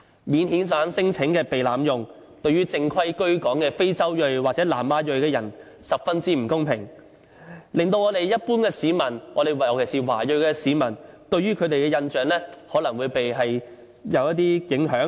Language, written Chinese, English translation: Cantonese, 免遣返聲請被濫用，對於正規居港的非洲裔或南亞裔人士十分不公平，一般市民，尤其是華裔市民，對他們的印象也可能會有一些影響。, The abuse of non - refoulement claim is also unfair to ethnic African or South Asian people in Hong Kong who came to settle in Hong Kong through proper channels . The impression held by the public towards them will likely be affected